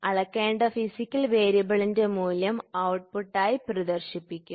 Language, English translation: Malayalam, So, that the value of the physical variable to be measured is displayed as output